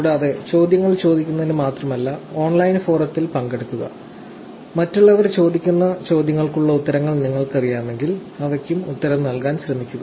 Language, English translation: Malayalam, And, please participate also in the online forum, not just only asking questions; if you know the answers for the questions that others are asking, please try and answer them also